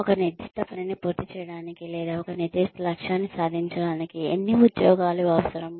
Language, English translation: Telugu, How many jobs are required to finish a particular task, or achieve a particular objective